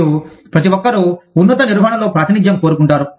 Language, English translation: Telugu, And, everybody wants a representation, in the top management